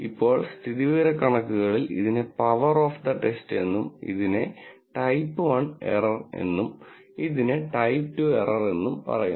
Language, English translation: Malayalam, Now, in statistics this is called the power of the test, this is called a type one error and this is called the type two error